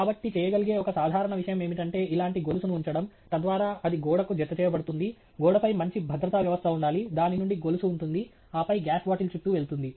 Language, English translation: Telugu, So, a simple thing that is done is to put a chain like this, so that it is then attached to the wall; there should be a good securing system on the wall from which there is a chain that comes around, and then, goes around the gas bottle